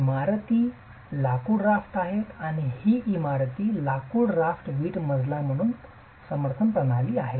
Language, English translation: Marathi, There are timber rafters and these timber rafters are the main supporting system of the brick floor